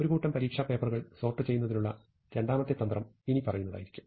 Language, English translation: Malayalam, So, second strategy to sort this bunch of exam papers would be the following